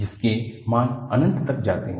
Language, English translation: Hindi, The values go to infinity